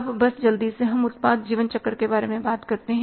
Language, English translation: Hindi, Now let's talk about the product lifecycle